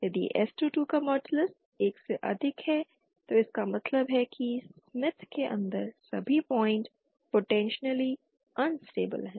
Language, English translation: Hindi, If modulus of s22 is greater than 1 then it means all points inside the smith are potentially unstable